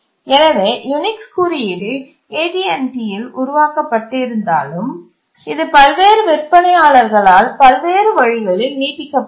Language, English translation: Tamil, Even though the Unix code was developed at AT&T, it was extended in various ways by different vendors